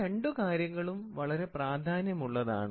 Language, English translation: Malayalam, So, these two are very important